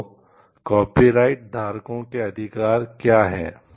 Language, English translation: Hindi, What are the benefits of copyrights are